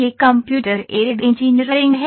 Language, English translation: Hindi, This is Computer Aided Engineering